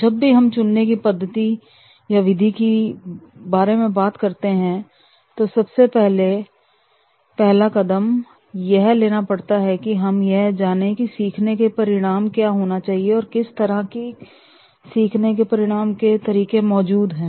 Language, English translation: Hindi, Whenever we are talking about in choosing method, the first step is to identify the type of the learning outcomes, that what should be the learning outcomes that we want to training to the influence